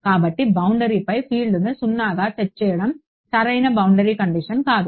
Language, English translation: Telugu, So, setting the field to be 0 on the boundary is not the correct boundary condition